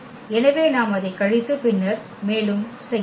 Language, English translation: Tamil, So, we can subtract it and then further